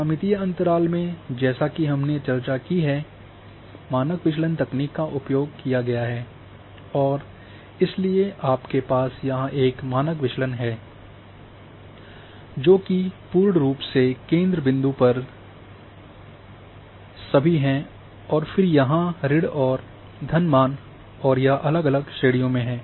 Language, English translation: Hindi, In geometrical interval as discussed the technique has been used and standard deviation so you are having a standard deviation here which is all at the centre point is 0 and then a minus,plus values are here and different class